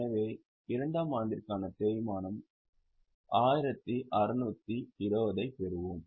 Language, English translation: Tamil, So, we will get 1620 as a depreciation for year 2